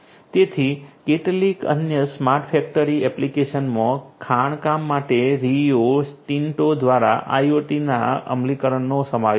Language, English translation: Gujarati, So, some other smart factory applications include the implementation of IoT by Rio Tinto for mining